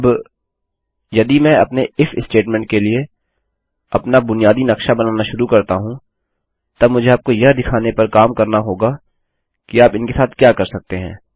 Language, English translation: Hindi, Now if I start creating my basic layout for my if statement i will get to work on showing you what you can do with these